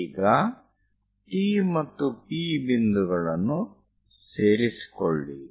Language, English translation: Kannada, Now join T and P points